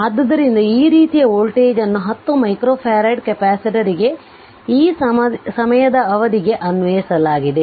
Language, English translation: Kannada, I mean this kind of voltage applied to 10 micro farad capacitor for this time duration